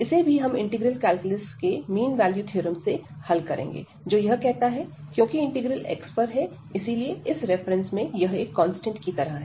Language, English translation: Hindi, And now we will use the again the mean value theorem from integral calculus, which says that this here because the integral is over x, so this like a constant in this reference, so integral is over x